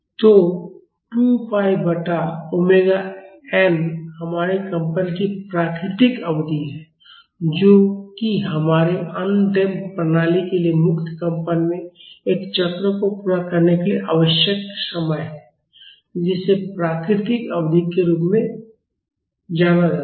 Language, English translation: Hindi, So, this 2 pi by omega n is the natural period of our vibration that is the time required for our undamped system to complete one cycle in free vibration that is known as natural period